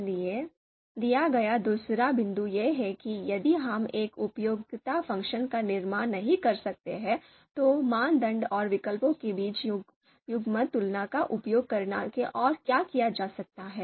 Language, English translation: Hindi, So the second point is given if we cannot construct a utility function so what we can do else if using pairwise comparisons between criteria and alternatives